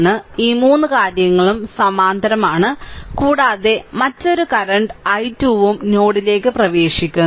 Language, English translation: Malayalam, So, these 3 things are in parallel and another current i 2 is also entering into the node